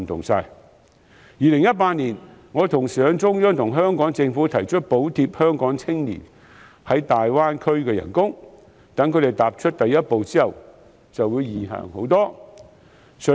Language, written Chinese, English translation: Cantonese, 我在2018年同時向中央和香港政府提出補貼香港青年在大灣區的工資，待他們踏出第一步之後，前路便會易行得多。, I put forward to both the Central Authorities and the Hong Kong Government in 2018 the proposal of subsidizing the wages of local young people who take up employment in the Greater Bay Area so that the road ahead will be much easier for them after they have got their feet in the door